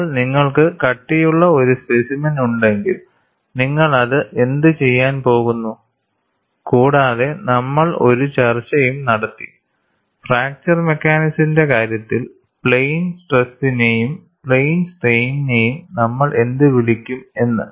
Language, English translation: Malayalam, Now, if you are having a thickness specimen, you are going to have… And we also had a discussion, what way we call plane stress and plane strain in the case of fracture mechanics